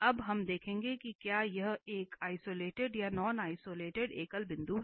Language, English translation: Hindi, Now, we will see, we will observe that whether it is an isolated or non isolated singular point